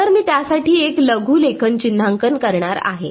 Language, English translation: Marathi, So, I am going to make a shorthand notation for it